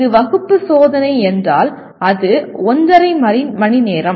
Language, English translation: Tamil, If it is class test, it is one and a half hours